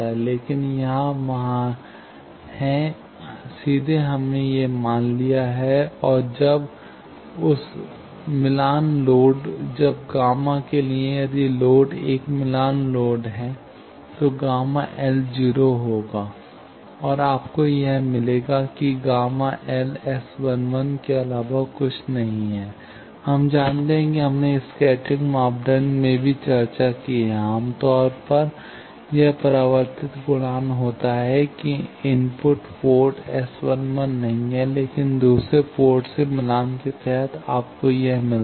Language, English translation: Hindi, But here, there is, directly we have got this value, and when that matched load, when gamma for, if the load is a matched load then gamma L will be 0; and, you will get that, gamma IN is nothing but S 1 1; that we know; that we have discussed in scattering parameter also; that, generally, reflection coefficient that the input port is not S 1 1, but, under second port matched, you get this